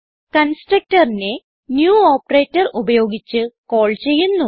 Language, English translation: Malayalam, Constructor is called using the new operator